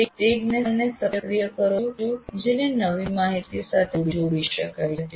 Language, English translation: Gujarati, You activate that knowledge to which the new information can be linked